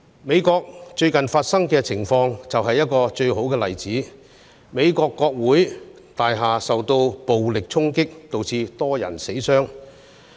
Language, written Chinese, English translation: Cantonese, 美國最近的情況就是最佳例子：美國國會大樓受到暴力衝擊，導致多人死傷。, The recent situation in the US is the best illustration the Capitol Building in the US was violently stormed resulting in multiple deaths and injuries